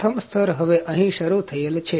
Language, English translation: Gujarati, The first layer is started here now